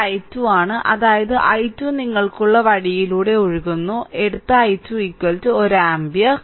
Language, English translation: Malayalam, This is i 2 that means, i 2 is flowing also this way you have taken i 2 is equal to 1 ampere